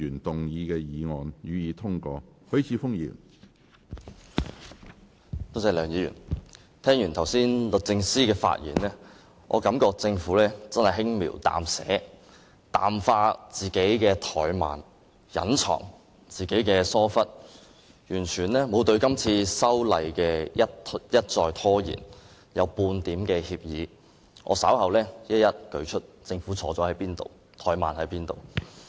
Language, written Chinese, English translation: Cantonese, 梁議員，聽完法律政策專員剛才的發言，我感到政府真是輕描淡寫，淡化自己的怠慢、隱藏自己的疏忽，對今次一再拖延修例完全沒有半點歉意，我稍後會一一列舉政府哪裏出錯、哪裏怠慢。, Mr LEUNG the speech delivered by the Solicitor General just now gives me an impression that the Government does not show the slightest apology for its delay in proposing the amendment as it seeks to play down the delay and conceal its negligence . Later in my speech I will point out its faults as well as its delay one by one